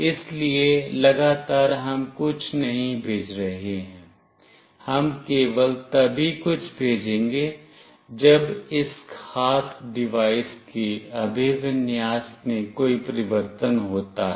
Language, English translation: Hindi, So, continuously we are not sending something, we are only sending something whenever there is a change in this particular device orientation